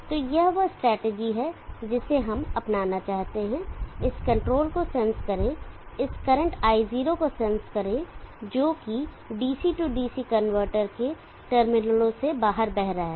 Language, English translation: Hindi, So that is the strategy that we want to adopt, sense this control, sense this current I0 which is flowing out of the terminals of the DC DC converter